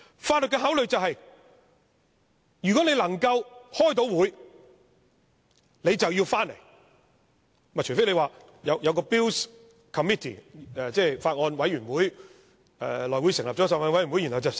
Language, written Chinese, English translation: Cantonese, 法律的考慮便是，如果能夠開會，便要回來，除非內務委員會成立了一個法案委員會來審議。, According to this consideration the Bill should be tabled when there are meetings unless the House Committee has set up a Bills Committee for the scrutiny of the Bill